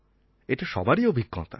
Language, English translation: Bengali, This has been everybody's experience